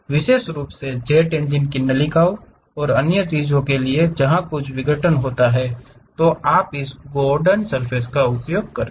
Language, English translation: Hindi, Especially, for jet engine ducts and other things where certain abruption happens, you use this Gordon surfaces